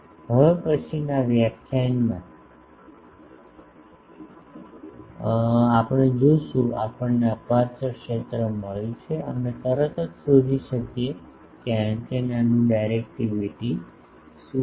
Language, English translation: Gujarati, In the next lecture we will see now, we have got the aperture field we can immediately find out what is the directivity of this antenna